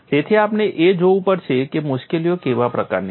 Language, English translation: Gujarati, So, we will have to look at what is the kind of difficulties